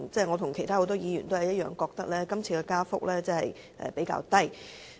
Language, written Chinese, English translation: Cantonese, 我和很多議員都認為今次的加幅比較低。, Many Members and I hold that the rate of increase is relatively low this time around